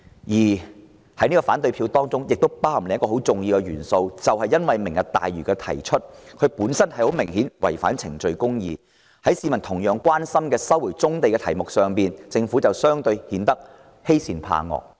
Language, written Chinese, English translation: Cantonese, 我們投下反對票還基於另一重要原因，就是政府提出"明日大嶼"的方式明顯違反程序公義，在市民同樣關心的收回棕地議題上，政府相對顯得欺善怕惡。, There is another important reason for our negative vote the way in which the Government put forward the Lantau Tomorrow Vision was a flagrant violation of procedural justice and the Government has shown a propensity for bullying the weak and fearing the strong regarding the resumption of brownfield sites an issue of equal concern to the public